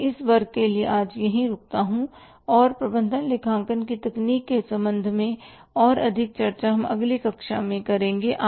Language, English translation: Hindi, I stop here for today for this class and furthermore discussion with regard to the other techniques of management accounting we will have in the next class